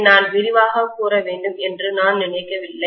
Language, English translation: Tamil, I do not think I need to elaborate on that